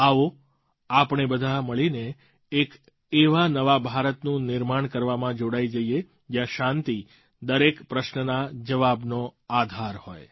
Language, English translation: Gujarati, Come, let's together forge a new India, where every issue is resolved on a platform of peace